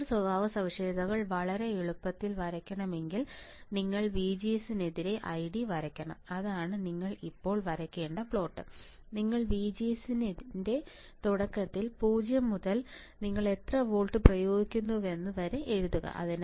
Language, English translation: Malayalam, If I want to draw the transfer characteristics very easy you have to draw I D versus, VGS I D versus VGS that is the plot that you have to draw right now you write down early of VGS from 0 to how much you applied 8 volts you applied